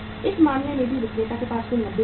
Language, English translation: Hindi, In this case also the seller in total has 90,000 Rs